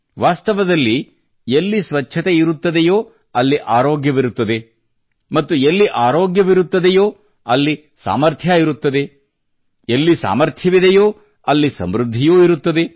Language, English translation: Kannada, Indeed, where there is cleanliness, there is health, where there is health, there is capability, and where there is capability, there is prosperity